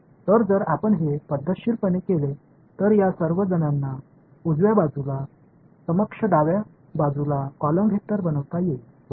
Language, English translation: Marathi, So, if you do it systematically all of these guys on the right hand side sorry on the left hand side can be made into a column vector right